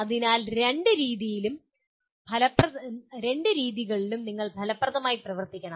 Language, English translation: Malayalam, So both ways you have to work effectively